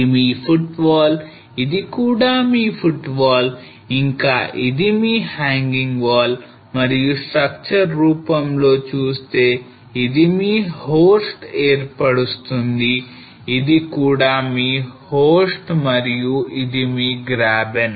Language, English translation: Telugu, So this is your footwall this is also your footwall and this is your hanging wall and in terms of the structure this will form your horst this is also your host and this is your graben